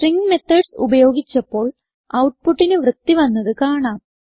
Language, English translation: Malayalam, So let us use the String methods to clean the input